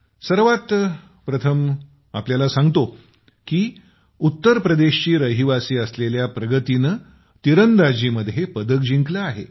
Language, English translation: Marathi, Pragati, a resident of UP, has won a medal in Archery